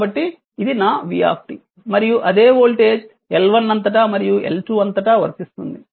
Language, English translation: Telugu, So, this is my v t and this same voltage is impressed across this one and across this one